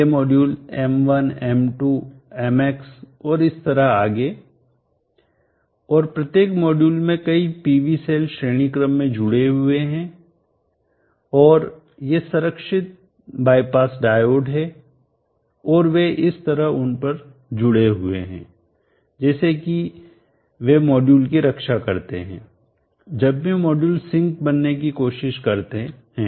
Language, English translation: Hindi, These are modules M1, M2, MH so on so forth and each of the modules have many PV cells connected in series and these are the protected bypass diode and they are connected across in the fashion, such that they protect the modules, whenever the modules try to become sinks